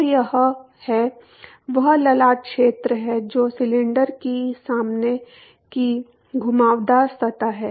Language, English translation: Hindi, That is the frontal area that is the front curved surface of the cylinder